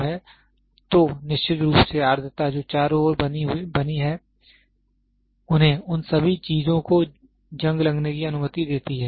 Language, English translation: Hindi, So, this is the major influence then of course, the humidity which is around made allow them to get corroded all those things are there